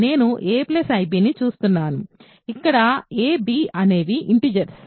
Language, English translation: Telugu, So, let us look at the following set: a plus ib, where a and b are integers